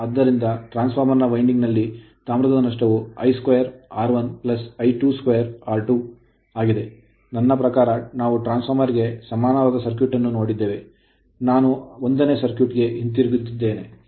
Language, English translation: Kannada, So, copper loss in the 2 winding transformer are I 2 square R 1 plus I 2 square R 2, I mean we have seen the equivalent circuit of the transformer and I am going back to 1 circuit right